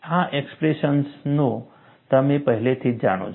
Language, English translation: Gujarati, These expressions you already know